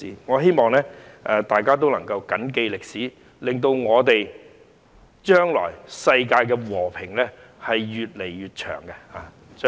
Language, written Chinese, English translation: Cantonese, 我希望大家能緊記歷史，令將來世界和平的日子可以越來越長。, I hope that everyone will keep the history in mind so that the days of peace in the world that we can enjoy in the future can last as long as possible